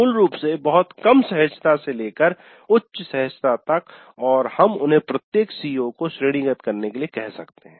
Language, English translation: Hindi, Basically from very low comfort to high comfort and we can ask them to rate each CO